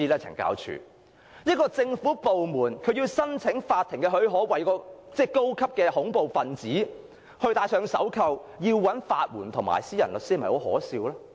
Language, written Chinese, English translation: Cantonese, 這個政府部門想向法庭申請許可，批准為該名高等恐怖分子戴上手銬，但卻要申請法援或延聘私人律師，這是否很可笑呢？, This government department wanted to apply for the Courts leave to handcuff this serious terrorist . But they nonetheless had to apply for legal aid or engage a private lawyer . Isnt this ridiculous?